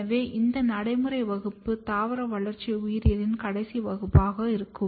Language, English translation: Tamil, So, this practical demonstration is going to be the last class of the plant developmental biology